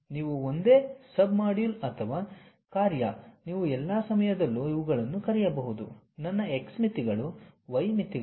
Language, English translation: Kannada, When you do that you are basically shrinking the same sub module or function you are all the time calling these are my x limits, y limits